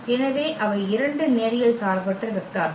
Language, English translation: Tamil, So, they are 2 linearly independent vector